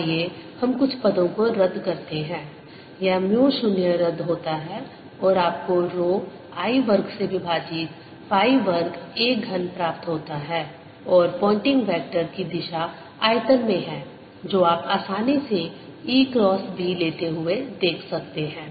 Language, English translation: Hindi, this mu zero cancels and you end up getting rho i square over two pi square a cubed and the direction of the pointing vector is into the volume, as you can easily see by taking e cross b